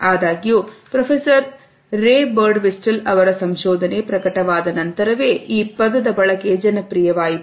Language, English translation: Kannada, However, the usage of the term became popular only after the research of Professor Ray Birdwhistell was published